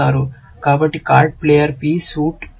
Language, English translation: Telugu, So, card player P suit t